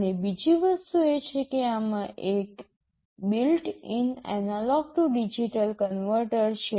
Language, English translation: Gujarati, And, another thing is that there is a built in analog to digital converter